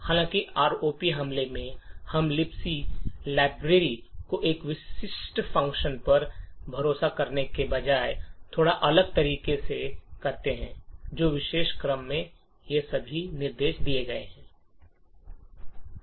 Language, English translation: Hindi, However, in the ROP attack we do things a little bit differently instead of relying on a specific function in the libc library which has all of these instructions in this particular sequence